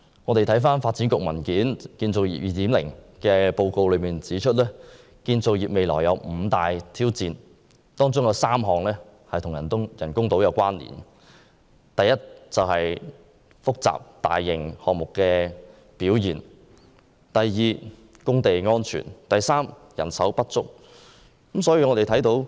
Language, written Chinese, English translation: Cantonese, 根據發展局一份有關"建造業 2.0" 的報告，建造業未來有五大挑戰，其中3項與人工島有關連。第一，大型項目表現欠佳；第二，工地安全欠佳；及第三，人手不足。, According to the report on Construction 2.0 published by the Development Bureau the construction industry is faced with five main challenges three of which are related to artificial islands namely unsatisfactory mega - project performance unsatisfactory site safety performance and manpower shortage